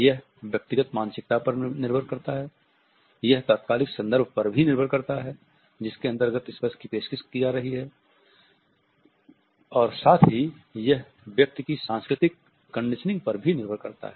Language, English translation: Hindi, It depends on individual psyche it depends on the immediate context within which the touch is being offered and at the same time it also depends on the cultural conditioning of an employee